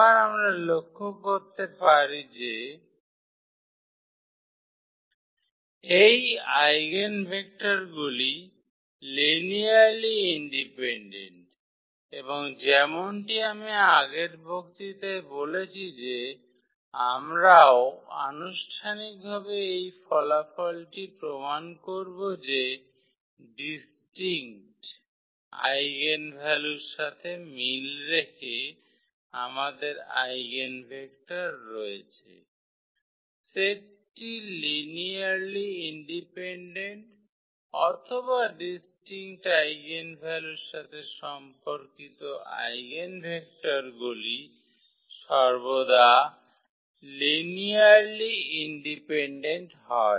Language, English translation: Bengali, Again we can note that these eigen vectors are linearly independent and as I said in the previous lecture that we will also proof formally this result that corresponding to distinct eigenvalues we have the eigenvectors, the set is linearly dependent the set of eigenvectors is linearly independent or the eigenvectors corresponding to distinct eigenvalues are always linearly independent